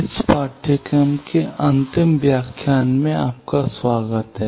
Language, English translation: Hindi, Welcome to the last lecture of this course